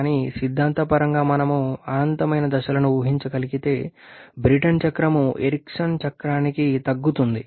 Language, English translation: Telugu, But if theoretical we can visualise infinite number of stages then in the Brayton cycle reduce to the Eriksson cycle